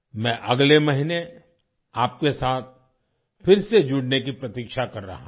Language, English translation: Hindi, I am waiting to connect with you again next month